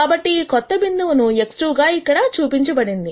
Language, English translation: Telugu, So, this new point is shown here as X 2